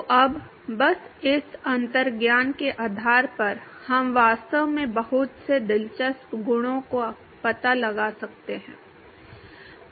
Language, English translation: Hindi, So, now, simply based on this intuition, we can actually detect lot of interesting properties